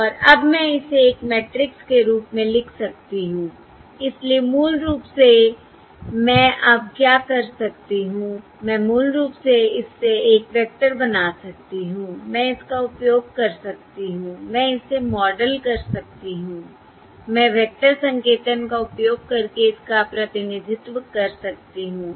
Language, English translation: Hindi, so basically, what I can do now is I can basically make a vector out of this, I can use it, I can model it, I can represent it using vector notation